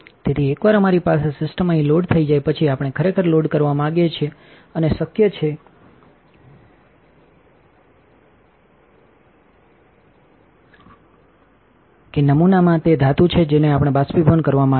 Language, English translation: Gujarati, So, once we have our sample the system loaded up here we want to actually load and possible that the name contains the metal that we want to evaporate